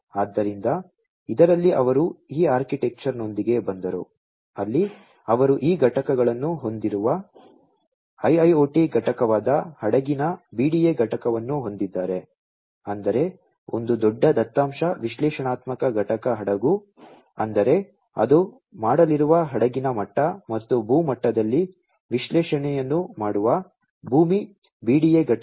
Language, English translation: Kannada, So, in this they came up with this architecture, where they have these components the IIoT component the vessel BDA component; that means, a big data analytic component vessel; that means that the vessel level it is going to be done and the land BDA component, which does the analytics at the land level